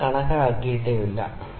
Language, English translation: Malayalam, Alpha value we haven’t calculated, ok